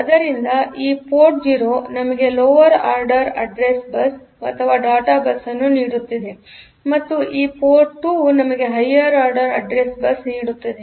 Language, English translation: Kannada, So, this port 0 was giving us the lower order address bus and the data bus and this port 2 is giving us the higher order address bus